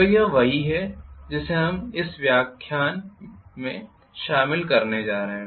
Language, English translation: Hindi, So this is what we are going to cover in this particular lecture